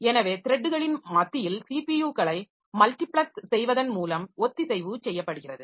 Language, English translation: Tamil, So, concurrency is done by multiplexing the CPUs among the threads